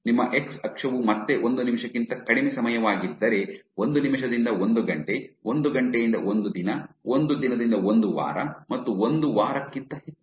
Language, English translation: Kannada, So, if your x axis is time again less than one minute, one minute to one hour, one hour to one day, one day to one week and greater than 1 week